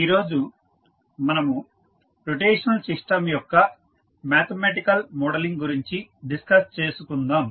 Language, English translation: Telugu, Today we will discuss about the mathematical modelling of rotational system